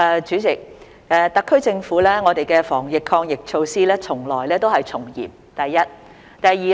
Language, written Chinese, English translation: Cantonese, 主席，特區政府的防疫抗疫措施從來都是從嚴的，這是第一點。, President the SAR Governments anti - epidemic measures have always been stringent . This is the first point